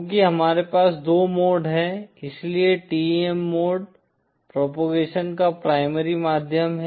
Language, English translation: Hindi, Since we have two modes, therefore TEM mode is the primary means of propagation